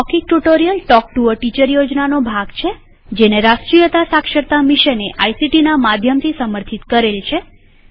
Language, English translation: Gujarati, Spoken Tutorial Project is a part of the Talk to a Teacher project, supported by the National Mission on Education through ICT